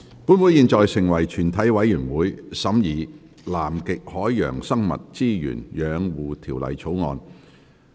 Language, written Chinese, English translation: Cantonese, 本會現在成為全體委員會，審議《南極海洋生物資源養護條例草案》。, Council now becomes committee of the whole Council to consider the Conservation of Antarctic Marine Living Resources Bill